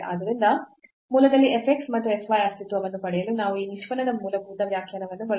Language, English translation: Kannada, So, to get the existence of f x and f y at origin we use this definition, fundamental definition of the derivative